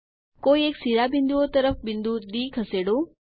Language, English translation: Gujarati, Move the point D towards one of the vertices